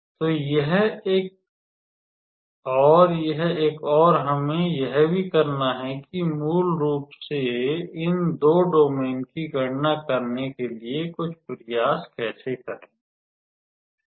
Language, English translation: Hindi, So, this one and this one and we also have to do some how to say some effort to basically calculate these two domains